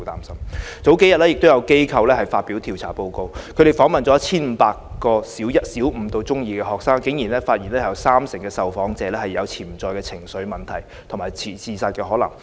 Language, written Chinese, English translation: Cantonese, 數天前，有機構發表調查報告，他們訪問了 1,500 個小五至中二學生，竟然發現有約三成受訪者有潛在情緒問題和自殺可能。, A few days ago an organization released a report on its survey of 1 500 students from Primary Five to Form 2 which surprisingly revealed that about 30 % of respondents had potential emotional problems and suicide risk